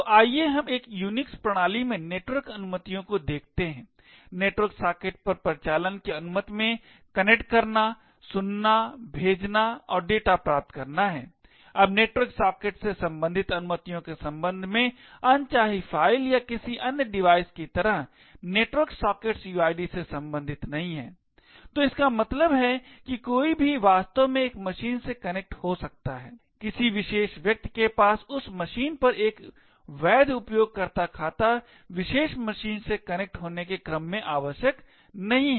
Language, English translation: Hindi, So let us look at the network permissions in a Unix system, the operations permitted on a network socket is to connect, listen, send and receive data, now with respect to permissions related to network sockets is like a unlike files or any other devices, network sockets are not related to uids, so this means anyone can actually connect to a machine, a particular person does not have to have a valid user account on that machine in order to connect to do particular machine